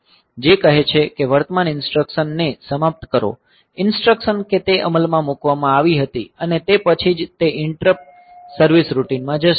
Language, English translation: Gujarati, So, which says that finish current instruction, the instruction that it was executed and then only it will be going into the interrupt service routine